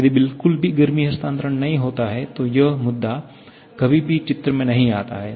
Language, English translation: Hindi, If there is no heat transfer at all, then this point never comes into picture